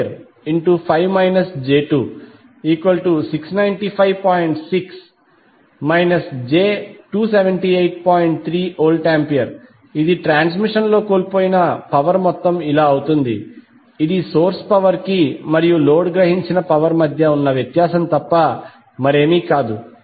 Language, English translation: Telugu, So this will be the amount of power lost in the transmission which will be nothing but the difference between the source power minus the power absorbed by the load